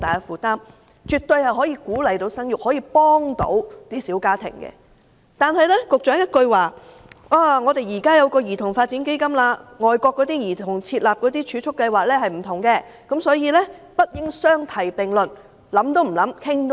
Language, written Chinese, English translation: Cantonese, 此舉絕對可以鼓勵生育和幫助小家庭，但局長回應說，現在已成立基金，這與外國為兒童設立的儲蓄計劃不盡相同，所以不應相提並論。, Such a measure can definitely encourage childbearing and help small families . Yet the Secretary responded that they have already set up CDF but it is different from the children savings schemes set up in foreign countries so we should not regard them in the same light